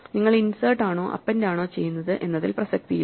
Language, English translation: Malayalam, It does not matter whether you are inserting or appending